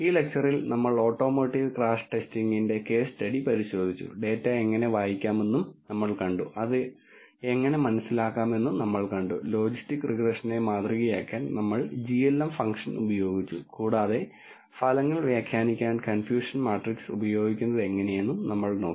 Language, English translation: Malayalam, In this lecture we looked at the case study of automotive crash testing we also saw how to read the data, we saw how to understand it, we used glm function to model logistic regression and we looked at using confusion matrix to interpret the results